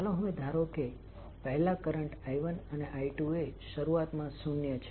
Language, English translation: Gujarati, Now let us assume that first the current I 1 and I 2 are initially zero